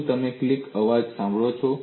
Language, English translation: Gujarati, Have you heard a click sound